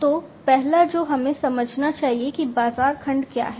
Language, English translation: Hindi, So, the first one that we should understand is what is the market segment